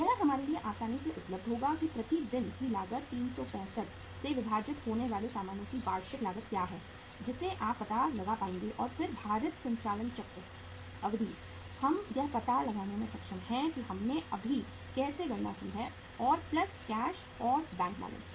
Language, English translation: Hindi, That will be easily available to us that what is the annual cost of goods sold divided by 365 so per day cost you will be able to find out and then weighted operating cycle duration we are able to find out that is how we have just calculated and plus cash and bank balances